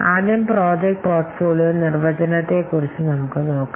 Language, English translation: Malayalam, Let's see about first the project portfolio definition